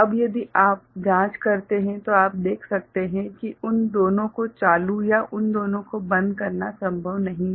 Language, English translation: Hindi, Now, if you investigate you can see that both of them ON and or both of them OFF is not possible ok